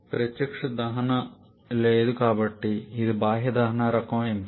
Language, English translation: Telugu, And there is no direct combustion so it is an external combustion kind of option